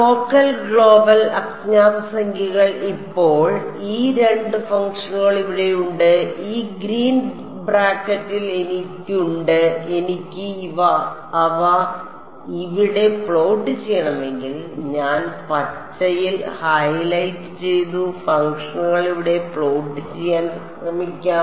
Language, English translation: Malayalam, Local and global what unknown numbers now these two functions over here that I have in these green brackets over here, if I want to plot them over here let us let us try to plot the functions that I have shown highlighted in green over here